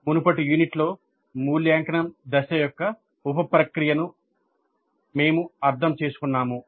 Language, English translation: Telugu, We understood the sub process of evaluate phase in the last unit